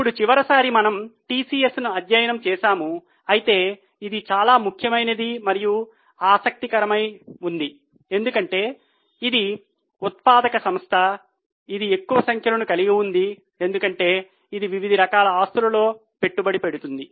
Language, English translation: Telugu, Now last time we had studied PCS but this is important and more interesting because this is a manufacturing company which is which has more figures because it invests in variety of types of assets